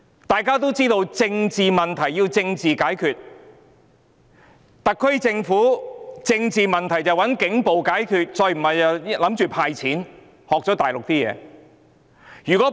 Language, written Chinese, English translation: Cantonese, 大家都知道，"政治問題，政治解決"，特區政府卻想"政治問題，警暴解決"，要不然便打算"派錢"，學了大陸的處事方式。, We all know that political problems require political solutions but the SAR Government wants to resolve political issues with police brutality . If this fails the SAR Government has learnt the Mainland way of dealing with things